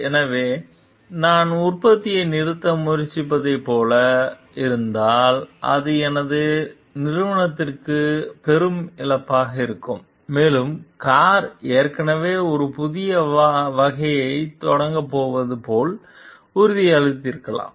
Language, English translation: Tamil, So, it will be a huge loss for my company if I am like trying to stop the production and maybe the car has already promised like it is going to launch a new variety